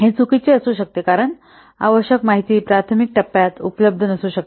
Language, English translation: Marathi, It may be inaccurate because the necessary information may not be available in the early phase